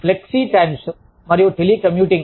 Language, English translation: Telugu, Flexi times and telecommuting